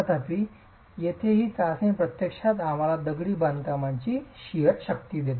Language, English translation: Marathi, However, this test here is actually giving us the sheer strength of the masonry itself